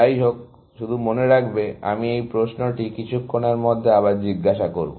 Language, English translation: Bengali, Anyway, just keep this in mind, I will ask this question in a little while again, essentially